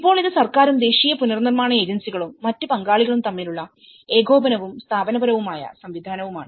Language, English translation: Malayalam, Now, this is coordination and the institutional mechanism between the government and the national reconstruction agencies and other stakeholders